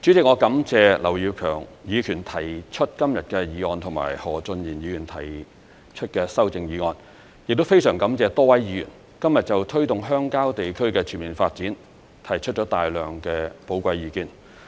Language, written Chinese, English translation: Cantonese, 主席，我感謝劉業強議員提出今天的議案及何俊賢議員提出修正案，亦非常感謝多位議員今天就推動鄉郊地區的全面發展提出了大量的寶貴意見。, President I thank Mr Kenneth LAU for proposing this motion today and Mr Steven HO for moving an amendment to the motion . I am also grateful to the many Members who have provided their valuable opinions on promoting the comprehensive development of rural areas